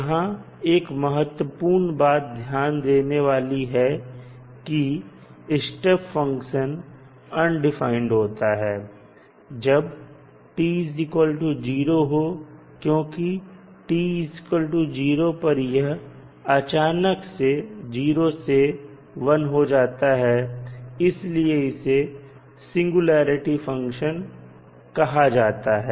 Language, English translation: Hindi, Now, important thing to understand is that unit step function is undefined at time t is equal to 0 because it is changing abruptly from 0 to1 and that is why it is called as a singularity function